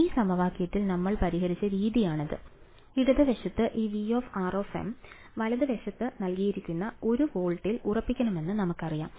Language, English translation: Malayalam, And in this equation the way we solved, it is that the left hand side this V of r m we know it to be fixed at 1 volt that was given right